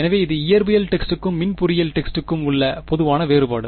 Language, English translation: Tamil, So, this is a common difference between physics text and electrical engineering text